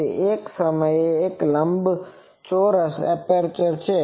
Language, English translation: Gujarati, It is a rectangular aperture